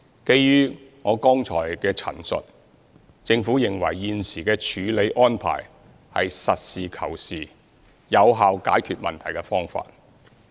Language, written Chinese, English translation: Cantonese, 基於我剛才的陳述，政府認為現時的處理安排是實事求是、有效解決問題的方法。, In view of my foregoing statement the Government considers the current arrangement a practical approach which serves as an effective solution